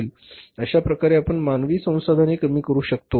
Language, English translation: Marathi, You have to reduce your human resources